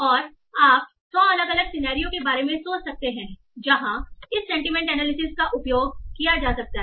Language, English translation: Hindi, So, and you can think of 100 different scenarios where this sentiment analysis will be used